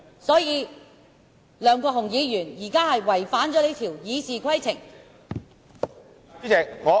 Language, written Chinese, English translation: Cantonese, 所以，梁國雄議員現時是違反了這項《議事規則》。, Therefore Mr LEUNG Kwok - hung has violated this rule of the Rules of Procedure